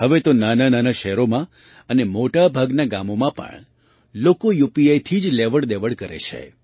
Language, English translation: Gujarati, Now, even in small towns and in most villages people are transacting through UPI itself